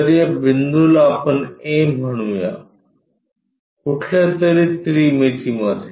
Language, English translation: Marathi, So, this point let us call A, somewhere in the 3 dimensions